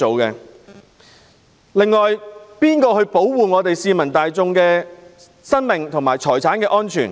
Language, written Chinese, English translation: Cantonese, 誰會保護市民大眾的生命和財產安全？, Who will safeguard the lives and property of the public?